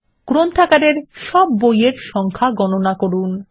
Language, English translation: Bengali, Get a count of all the books in the Library